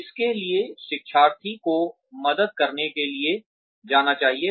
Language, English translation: Hindi, Designate to whom, the learner should go to help